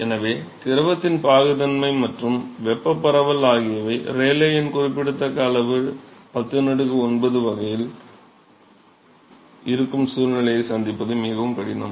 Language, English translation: Tamil, So, it is very difficult to encounter a situation where the fluid’s viscosity and the thermal diffusivity is in such a way that the Rayleigh number is significantly large is about 10 power 9